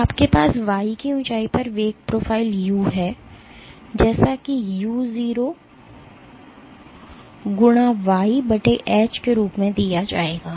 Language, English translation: Hindi, So, you have flow profile u at height of y will be given as simply as u0 * y / H